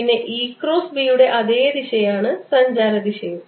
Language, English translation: Malayalam, then e cross b is has the same direction as direction of propagation